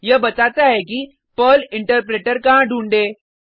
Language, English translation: Hindi, It tells where to find the Perl Interpreter